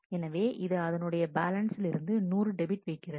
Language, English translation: Tamil, So, it is debiting 100 from the balance